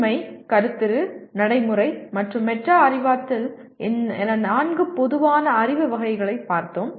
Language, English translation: Tamil, We looked at four general categories of knowledge namely Factual, Conceptual, Procedural, and Metacognitive